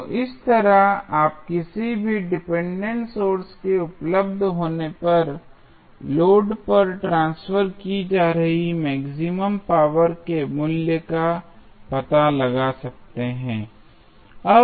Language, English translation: Hindi, So, in this way, you can find out the value of maximum power being transferred to the load when any dependent sources available